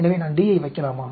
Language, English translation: Tamil, So, I want to put D